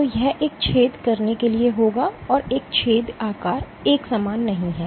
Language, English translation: Hindi, So, this would amount to having a pore and this pore size is not uniform